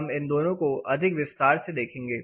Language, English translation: Hindi, We will look at these two things more in details